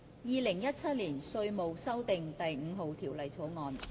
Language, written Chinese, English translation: Cantonese, 《2017年稅務條例草案》。, Inland Revenue Amendment No . 5 Bill 2017